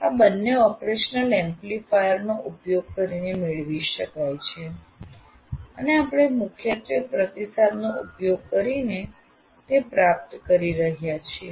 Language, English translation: Gujarati, These two are achieved by using an operational amplifier and we are achieving that mainly using the feedback